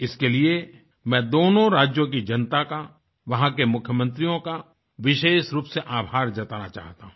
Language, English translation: Hindi, I would like to especially express my gratitude to the people and the Chief Ministers of both the states for making this possible